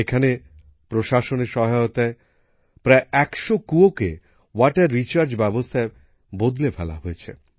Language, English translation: Bengali, Here, with the help of the administration, people have converted about a hundred wells into water recharge systems